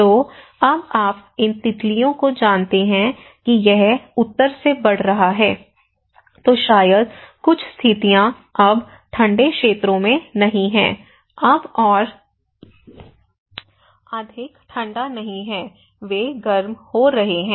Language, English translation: Hindi, So, now these butterflies you know it is heading from north so, maybe certain conditions are now in the colder areas are no more cold now, they are getting warmer